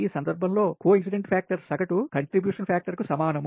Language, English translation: Telugu, the coincidence factor in this case is equal to the average contribution factors